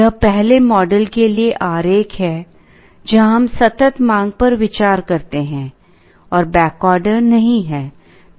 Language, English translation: Hindi, This is the diagram for the first model, where we consider continuous demand and no back ordering